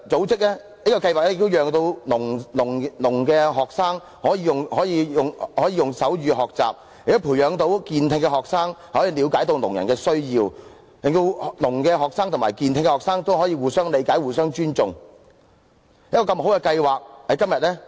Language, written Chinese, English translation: Cantonese, 這項計劃亦讓失聰學生可以用手語學習，亦培養健聽學生了解聾人的需要，令失聰學生及健聽學生可以互相理解、互相尊重。, The Programme can enable deaf students to learn in sign language and instil in students with normal hearing a willingness to understand the needs of deaf people . In this way deaf students and students with normal hearing can understand and respect each other